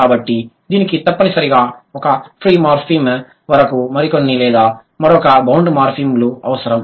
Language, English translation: Telugu, So, it would mandatorily need one free morphem and a few more or one more bound morphem